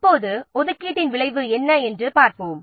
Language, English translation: Tamil, Now let's see what is the result of the resource allocation